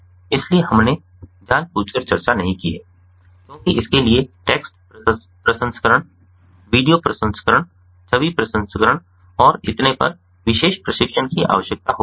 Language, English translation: Hindi, so this we have intentionally not discussed because that requires specialized training in text processing, video processing, image processing and so on, and we do not want to get into the depth of those type of analytics